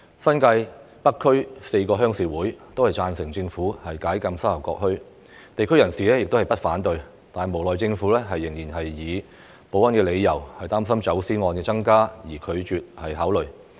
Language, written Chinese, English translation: Cantonese, 新界北區4個鄉事委員會均贊成政府解禁沙頭角墟，地區人士亦不反對，但無奈政府仍因為保安理由，擔心走私案件增加而拒絕考慮。, The four rural committees in North District New Territories agreed that the Government should lift the restrictions on the Sha Tau Kok Town and local residents had no objections either but the Government refused to consider for security reasons worrying that smuggling cases might increase